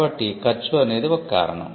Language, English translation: Telugu, So, there is a cost factor involved